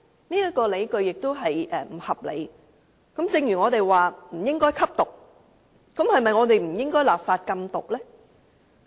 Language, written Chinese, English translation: Cantonese, 然而，這個理據也是不合理的，正如我們說不應該吸毒一樣，是否也不應該立法禁毒呢？, Similarly in saying that drug - taking is not right should we not legislate to prohibit the taking of drugs? . To exercise regulation law must be enacted